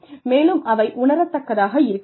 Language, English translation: Tamil, And, they should be tangible